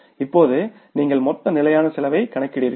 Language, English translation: Tamil, Now you calculate the total fixed cost